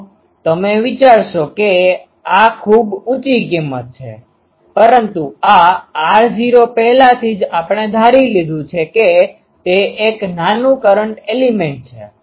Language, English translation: Gujarati, So, you will be thinking that this is very high value, but this r naught [laughter] is already we assumed it is a small current element